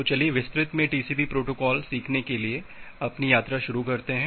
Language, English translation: Hindi, So, let us start our journey to learn the TCP protocol in details